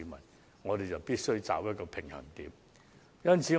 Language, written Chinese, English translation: Cantonese, 因此，我們必須取得平衡。, Therefore it is necessary to strike a balance